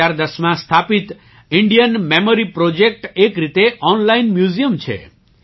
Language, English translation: Gujarati, Established in the year 2010, Indian Memory Project is a kind of online museum